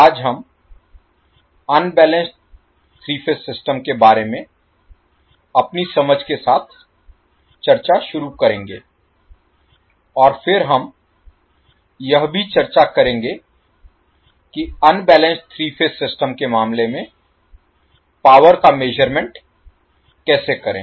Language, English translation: Hindi, Today we will start our discussion with the understanding about the unbalanced three phase system and then we will also discuss how to measure the power in case of unbalanced three phase system